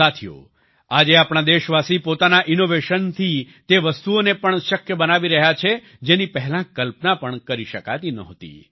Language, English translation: Gujarati, Friends, Today our countrymen are making things possible with their innovations, which could not even be imagined earlier